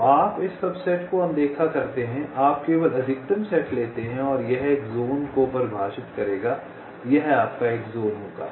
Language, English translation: Hindi, so you ignore this subsets, you only take the maximal set and this will define one zone